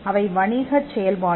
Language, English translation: Tamil, They are commercial activity